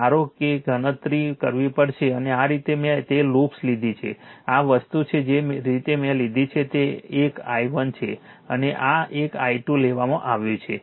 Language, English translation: Gujarati, That you suppose you have to compute and this way I have taken that loops are this thing the way I have taken this is one is i 1 and this is one is like taken i 2 right